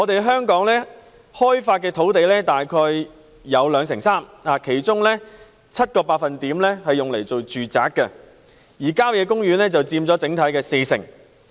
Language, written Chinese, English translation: Cantonese, 香港已開發土地佔總面積約兩成三，其中 7% 用於住宅，而郊野公園佔整體的四成。, Developed land accounts for approximately 23 % of the total area of Hong Kong . 7 % of it is for residential use and country parks take up 40 % of the total